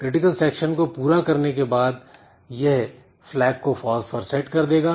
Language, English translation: Hindi, After executing the critical section it will set the flag to be equal to false